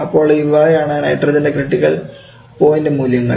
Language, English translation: Malayalam, So this the critical point for nitrogen and this is carbon dioxide